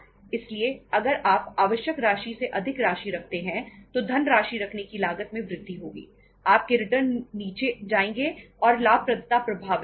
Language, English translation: Hindi, So if you keep more than the required amount of funds your cost of keeping the funds will increase, your returns will go down and profitability will be affected